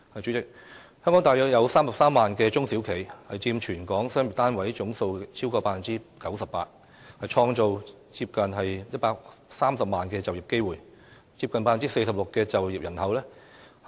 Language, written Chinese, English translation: Cantonese, 主席，香港大約有33萬家中小企，佔全港商業單位總數超過 98%， 創造接近130萬就業機會，接近 46% 就業人口。, President there are some 330 000 SMEs in Hong Kong accounting for over 98 % of all local business units . They have created nearly 1.3 million jobs which make up almost 46 % of total employment